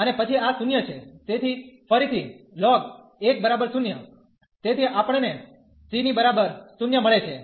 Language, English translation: Gujarati, And then this is 0, so ln 1 is 0 again, so we get the c is equal to 0